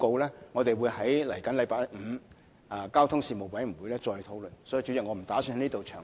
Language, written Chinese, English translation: Cantonese, 其實，我們會在本星期五的交通事務委員會會議上討論《報告》，所以，主席，我不打算在此詳談。, Actually we will discuss the Report at the meeting of the Panel on Transport the Panel this Friday so President I do not intend to go into the details here